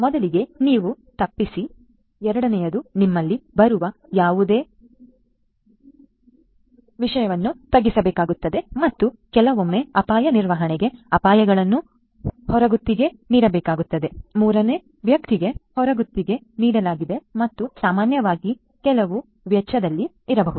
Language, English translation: Kannada, First of all you avoid; second is whatever comes in you will have to mitigate and sometimes for risk management it is if you know sometimes required to outsource the risks; outsourced to a third party and may be typically with at some cost right